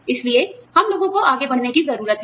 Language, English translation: Hindi, So, we need to have people, move on